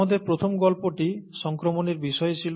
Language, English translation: Bengali, Our first story was about infection and so on so forth